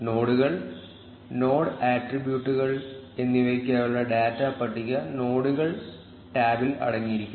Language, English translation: Malayalam, The nodes tab contains the data table for nodes and node attributes